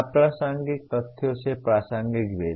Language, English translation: Hindi, Distinguishing relevant from irrelevant facts